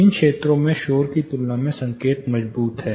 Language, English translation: Hindi, In these areas the signal is strong compare to a noise